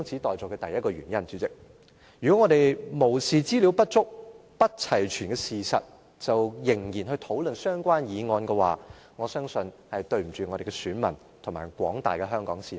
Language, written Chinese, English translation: Cantonese, 代理主席，如果我們無視資料不足、不齊全的事實，而仍然去討論相關議案。我相信，是對不起我們的選民及廣大的香港市民。, Deputy President if we ignore the fact that the information is inadequate and incomplete and still go ahead with the debate on the government motion then I think we will let our voters and Hong Kong people down